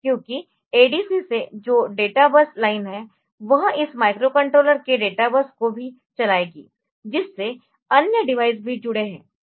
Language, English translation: Hindi, Because the databus line that have from this microcontroller from the ADC will also be driving the databus of this microcontroller to which other devices are also connected